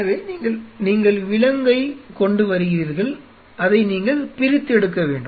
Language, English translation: Tamil, So, you are you are getting the animal you have to dissected